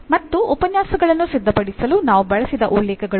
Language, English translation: Kannada, And these are the references we have used for preparing the lectures